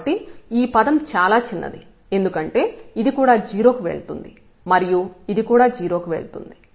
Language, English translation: Telugu, So, this term is pretty smaller because this is also going to 0 and this is also going to 0